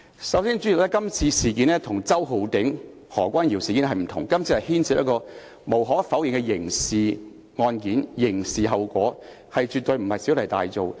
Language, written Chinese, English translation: Cantonese, 首先，代理主席，這次事件與周浩鼎議員和何君堯議員事件不相同，這次是無可否認地牽涉到刑事案件、刑事後果，絕對不是小題大做。, Deputy President this incident is different from the ones involving Mr Holden CHOW and Dr Junius HO . Undeniably this incident involves a criminal case and criminal consequences . So Members are absolutely not making a mountain out of a molehill